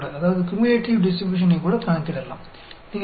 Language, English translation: Hindi, So, you can calculate the cumulative distribution also